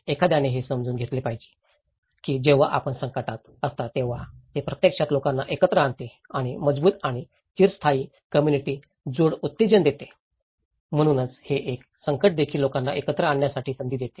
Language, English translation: Marathi, One has to understand, when you are in a crisis, it actually brings people together and stimulates stronger and lasting social connectedness so, this is a crisis also gives an opportunity to bring people together